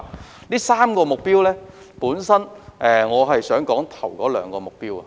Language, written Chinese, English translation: Cantonese, 就這3個目標，我想探討首兩個目標。, I would like to look into the first two of them